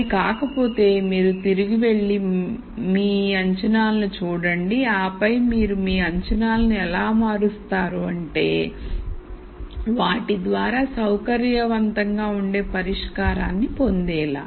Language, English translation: Telugu, If it does not you go back and relook at your assumptions and then see how you change or modify your assumptions so that you get a solution that you are comfortable with